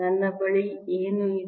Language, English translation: Kannada, what do we have